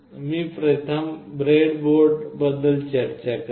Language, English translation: Marathi, I will first talk about the breadboard